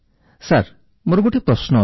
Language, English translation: Odia, Sir, I have a question